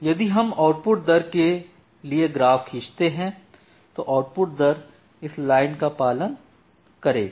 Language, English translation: Hindi, So, if we draw the output rate your output rate will follow this line